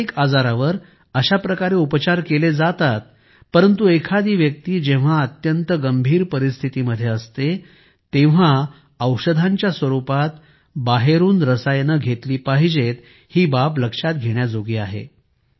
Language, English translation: Marathi, Mental illnesses are being managed this way but we must realize that taking chemicals from outside in the form of medications is necessary when one is in extreme situation